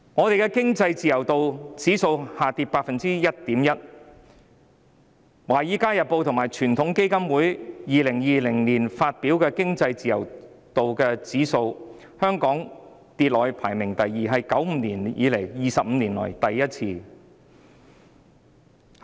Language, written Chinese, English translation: Cantonese, 香港的經濟自由度指數下跌了 1.1%， 根據《華爾街日報》和傳統基金會在2020年發表的經濟自由度指數，香港的排名下跌至第二位，是自1995年後 ，25 年以來首次發生。, The Index of Economic Freedom of Hong Kong has dropped 1.1 % . According to the Index of Economic Freedom released by the Wall Street Journal and the Heritage Foundation in 2020 Hong Kongs ranking has fallen to the second . It has happened for the first time in 25 years since 1995